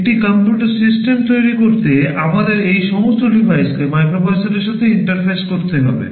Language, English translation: Bengali, To make a computer system we have to interface all these devices with the microprocessor